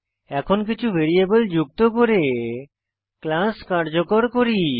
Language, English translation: Bengali, Now let us make the class useful by adding some variables